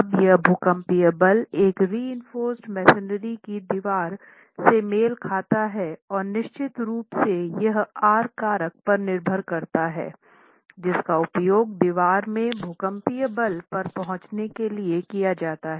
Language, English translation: Hindi, Now this seismic force corresponds to a reinforced masonry wall and of course it depends on the R factor that has been used to arrive at the seismic force corresponding to this level in the wall